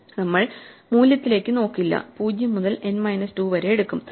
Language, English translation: Malayalam, So, we will not look at that value we will just use from 0 to n minus 2